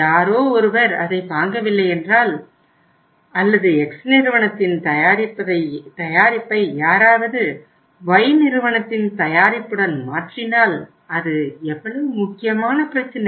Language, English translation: Tamil, That you say that it does not means it does not make a difference that if somebody does not buy it or somebody replaces X company’s product with the Y company’s product so how does it matter